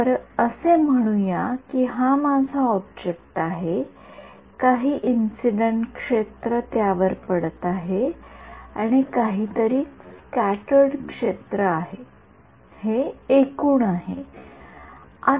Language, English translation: Marathi, So, let us say this is my object right some incident field is falling on it, and something is getting scattered field this is scattered this is total